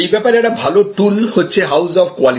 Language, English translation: Bengali, A very good tool for this is the famous house of quality